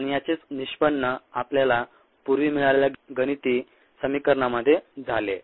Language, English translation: Marathi, and that is what resulted in the earlier mathematical expression that we had